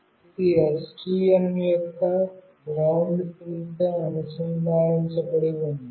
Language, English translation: Telugu, This is the GND, which is connected to ground pin of STM